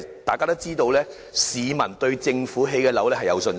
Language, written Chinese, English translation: Cantonese, 大家都知道，市民對政府興建的樓宇抱有信心。, As we all know members of the public have confidence in public housing